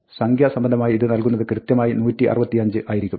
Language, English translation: Malayalam, In numeric terms, this will return 165 correctly